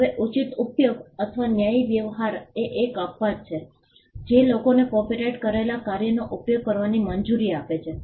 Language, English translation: Gujarati, Now, fair use or fair dealing is one such exception which allows people to use copyrighted work